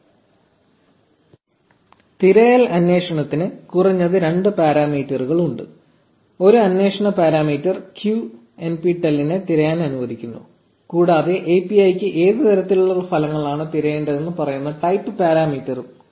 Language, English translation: Malayalam, So, the search query has a minimum of two parameters a query parameter q lets search for nptel and a type parameter which tells the API what type of results to look for